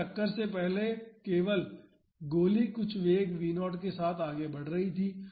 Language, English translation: Hindi, So, before the impact only the bullet was moving with some velocity v naught